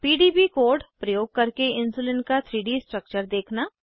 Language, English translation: Hindi, * View 3D structure of Insulin using PDB code